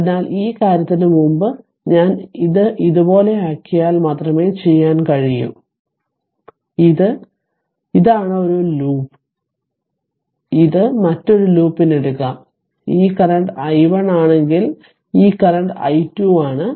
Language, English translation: Malayalam, So, what you can do is you just ah if I if I make it like this before this thing, so this is this is one loop this is another loop you can take right and if this current is i 1 this current is i 2 right